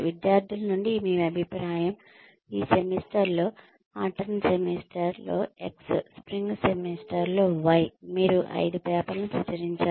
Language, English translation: Telugu, Your feedback from the students, in this semester say, X in autumn semester, Y in spring semester, you published five papers